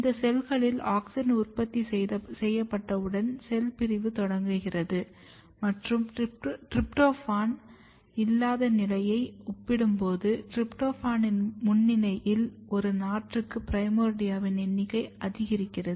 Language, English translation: Tamil, And once auxin is produced in these cells, you can see that cell division starts and number of even primordia per seedling is increased significantly in presence of tryptan as compared to in absence of tryptophan